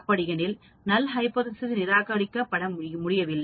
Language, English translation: Tamil, So I say I fail to reject the null hypothesis